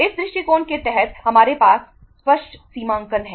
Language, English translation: Hindi, That under this approach we have clear cut demarcation